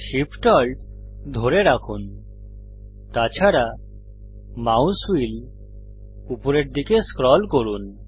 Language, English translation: Bengali, Hold Shift, Alt and scroll the mouse wheel downwards